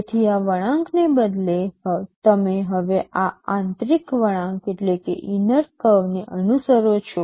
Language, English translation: Gujarati, So, instead of this curve, you are now following this inner curve